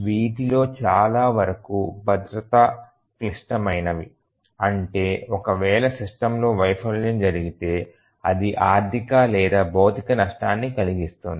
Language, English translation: Telugu, And many of these are safety critical, in the sense that if there is a failure in the system it can cause financial or physical damage